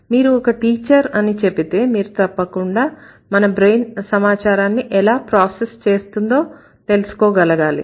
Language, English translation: Telugu, So, when you say I am a teacher, so you should be able to find out how your brain processes such kind of information